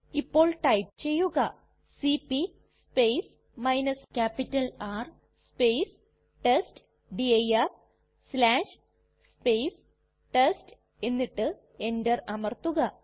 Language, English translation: Malayalam, Now we type cp space R space testdir/ test and press enter